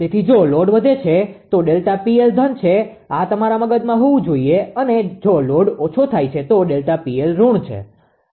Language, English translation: Gujarati, So, if load increases delta P L is positive this should be in your mind and if load decreases delta P L is negative, right